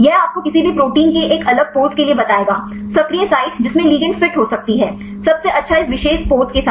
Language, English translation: Hindi, This will tell you for a different pose of any protein, the active site which ligand can fit; the best with this particular pose